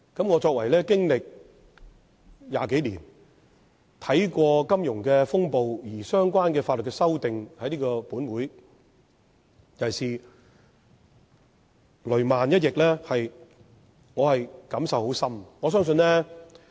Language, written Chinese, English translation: Cantonese, 我作為議員20多年，對於經歷金融風暴而在本會提出相關法律修訂——尤其是"雷曼"一役——我感受甚深。, I have been a Legislative Council Member for over 20 years and have strong feelings towards the legislative amendments proposed in this Council in relation to the financial crises especially the Lehman Brothers crisis